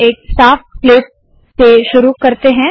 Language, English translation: Hindi, Let us start with a clean slate